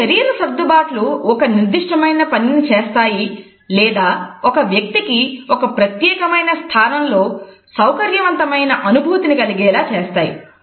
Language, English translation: Telugu, These body adjustments perform either a specific function or they tend to make a person more comfortable in a particular position